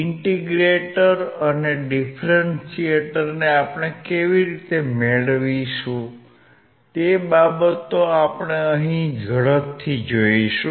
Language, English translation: Gujarati, Now we all know the difference in the integrator and differentiator